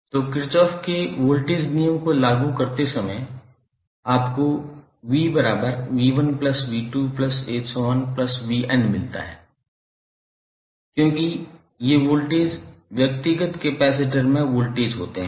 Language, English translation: Hindi, So when apply Kirchhoff’s Voltage law, you get V is nothing but V1 plus V2 and so on upto Vn because these voltages are the voltage across the individual capacitors